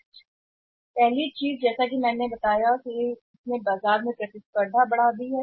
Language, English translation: Hindi, First thing is that as I told you that it has increased the competition in the market